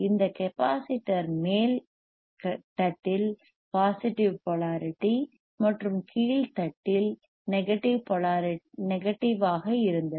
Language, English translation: Tamil, tThis capacitor was cause having positive polarity onlike this upper plate and negative on lower plate was negativ